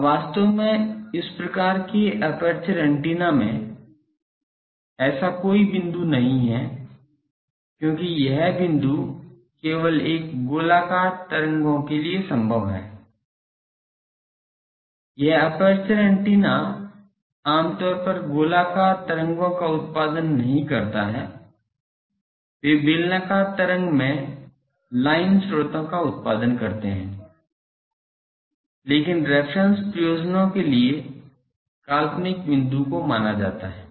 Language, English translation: Hindi, Now, actually in this type of aperture antennas there is no such point, because the point is possible only for a spherical waves, this aperture antennas generally do not produce spherical waves, they produce they line sources in cylindrical wave, but for reference purposes a hypothetical point is assumed